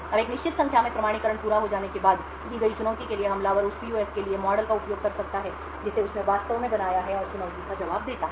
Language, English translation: Hindi, Now after a certain number of authentications have completed, for a given challenge the attacker could use the model for that PUF which it has actually created which it has actually built and respond to the challenge